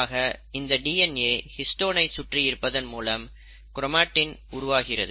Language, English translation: Tamil, So you have the DNA which wraps around this histones to form what is called as chromatin